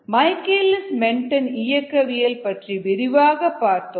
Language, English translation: Tamil, we looked at michaelis menten kinetics in detail